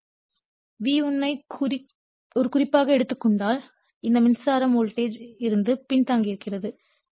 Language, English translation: Tamil, If you take your V1 as a reference so, this current actually lagging from your what you call the voltage